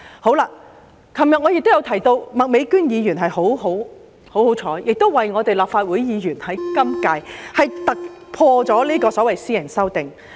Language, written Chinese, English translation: Cantonese, 我昨天提到麥美娟議員很幸運，政府讓今屆立法會議員突破地提出了私人條例草案。, I said yesterday that Ms Alice MAK was very lucky . In a breakthrough the Government gave the green light to the introduction of a private bill by a Member of this Legislative Council